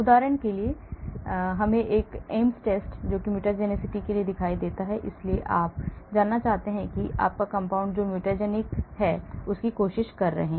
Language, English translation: Hindi, For example, let me see Ames test mutagenicity , so you want to know whether your compound which you are trying to is mutagenic